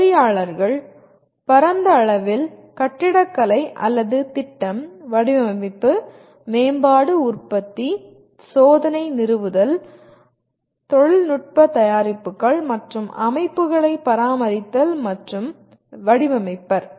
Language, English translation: Tamil, Engineers broadly architect or plan, design, develop, manufacture, test, install, operate and maintain technological products and systems